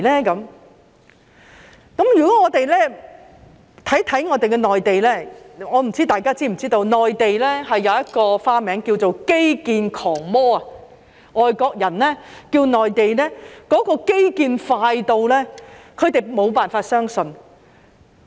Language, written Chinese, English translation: Cantonese, 如果我們看看內地，我不知大家是否知道，內地有一個花名叫做"基建狂魔"，是因為外國人看到內地推行基建快得他們無法相信。, If we take a look at the Mainland I wonder if Honourable colleagues are aware that the Mainland has been given the nickname Infrastructure Giant . It is because foreigners find it unbelievable when they witness infrastructure projects being taken forward in such a fast pace in the Mainland